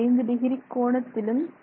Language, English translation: Tamil, 5 degrees angle that is there